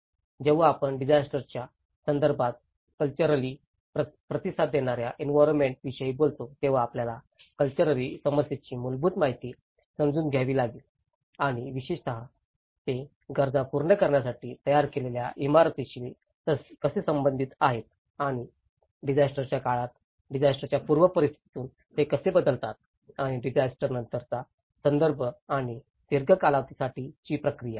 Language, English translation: Marathi, When we talk about the cultural responsive built environments in a disaster context, one has to understand the basics of the cultural issues and how especially, they are related to the built to meet needs and how they change from the pre disaster context during disaster and the post disaster context and over a long run process